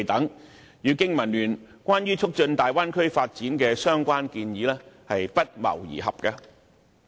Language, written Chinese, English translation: Cantonese, 這些措施與經民聯就促進大灣區發展所提出的相關建議不謀而合。, These measures coincide with the recommendations of BPA on promoting the Bay Area development